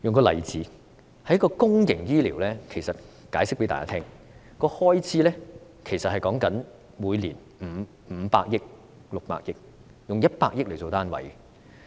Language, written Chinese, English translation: Cantonese, 我用公營醫療的例子向大家解釋，每年公營醫療的開支是五六百億元，用百億元作單位。, The annual public health care expenditure is in the tens of billions of dollars between 50 billion and 60 billion